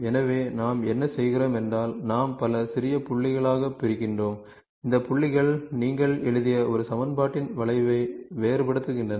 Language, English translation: Tamil, So, in interpolation what we do is, we discretize into several small points and these points are the curve, these points are discretizing the curve for which you have written an equation